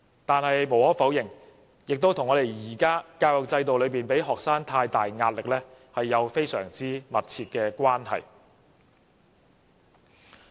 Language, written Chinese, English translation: Cantonese, 但是，無可否認，這也和現時的教育制度給予學生太大壓力有莫大關係。, Having said that there is also no denying that the extreme pressures felt by students have everything to do with our existing education system